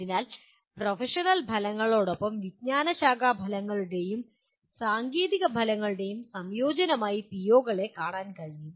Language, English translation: Malayalam, So one can see the POs as a combination of disciplinary outcomes or technical outcomes along with professional outcomes